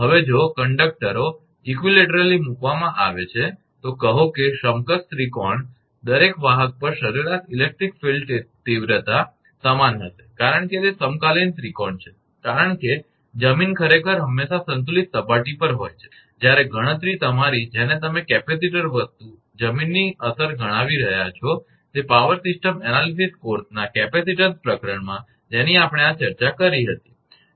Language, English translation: Gujarati, Now, if conductors are placed equilaterally, say equilateral triangle the average electric filed intensity at each conductor will be the same because it is equilateral triangle, since the ground actually is at always equipotential surface, while computing is your what you call capacitor thing considering the effect of ground, in the capacitance chapter in power system analysis course all that we have discussed this